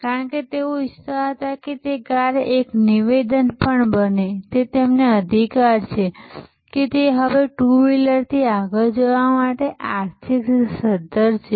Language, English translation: Gujarati, Because, they wanted that car to be also a statement that they have a right that they are now economically well off to go beyond the two wheelers